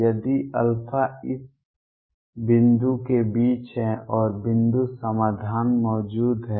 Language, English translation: Hindi, If alpha is between this point and point solution exists